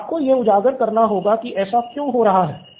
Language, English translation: Hindi, So you have to highlight why is this happening